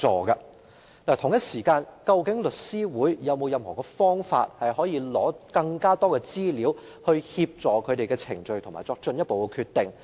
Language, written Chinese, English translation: Cantonese, 與此同時，律師會有否其他方法可以取得更多資料，以協助進行相關程序並作進一步決定？, Meanwhile does Law Society have any other means to obtain more information to proceed with the relevant procedures and make a decision?